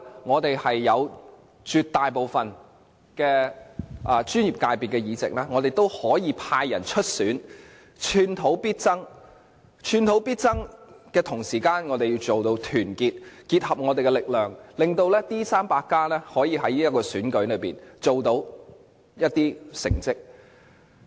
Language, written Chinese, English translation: Cantonese, 我們在絕大部分專業界別的議席都派人出選，寸土必爭，同時，我們要團結，結合我們的力量，令"民主 300+" 可以在這選舉中取得一些成績。, Our members had stood for election in almost all professional subsectors of EC and we strived hard for getting the seats . At the same time we must be united and join forces in this Chief Executive Election so that the Democrats 300 can make some achievements